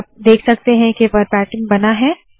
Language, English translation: Hindi, So you can see that the verbatim is created